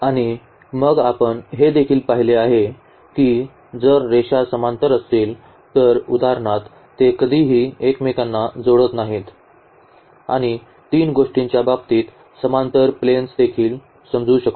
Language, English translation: Marathi, And then we have also seen that if the lines are parallel for example, that they never intersect and the same thing we can interpret in case of the 3 variables also that we have the parallel planes